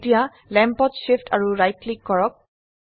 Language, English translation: Assamese, Now Shift plus right click the lamp